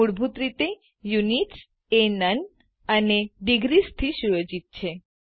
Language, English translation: Gujarati, By default, Units is set to none and degrees